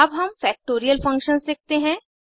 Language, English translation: Hindi, Now let us write Factorial functions